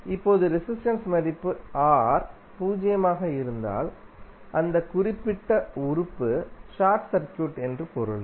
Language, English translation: Tamil, Now, if resistance value is R is zero it means that, that particular element is short circuit